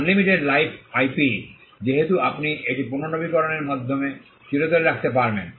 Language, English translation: Bengali, Unlimited life IP since you can keep it forever by renewing it